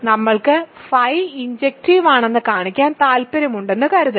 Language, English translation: Malayalam, Suppose we want to show phi injective